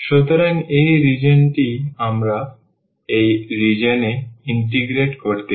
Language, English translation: Bengali, So, this is the region which we want to integrate over this region